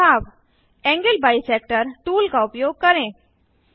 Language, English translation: Hindi, Hint Use Angle Bisector tool